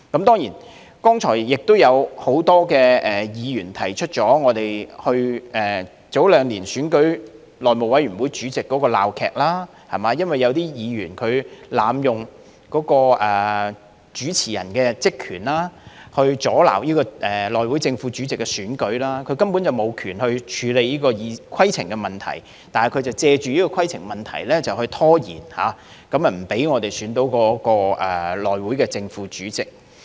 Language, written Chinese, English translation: Cantonese, 當然，剛才也有很多議員提到，早兩年選舉內務委員會主席的鬧劇，因為有議員濫用主持人的職權，阻撓內會正副主席的選舉，他根本無權處理規程的問題，但卻藉着規程問題拖延，不讓我們選出內會正副主席。, Of course many Members talked about the farcical show involving the election of the House Committee HC Chairman two years ago . Since a Member abused his power as the presiding Member the election of the HC Chairman and Vice - chairman was obstructed . Actually he had no power whatsoever to deal with any points of order but he procrastinated by allowing numerous points of order and obstructed our election of the HC Chairman and Vice - chairman